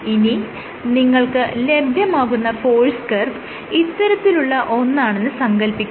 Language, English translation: Malayalam, So, now, imagine you get a force curve like this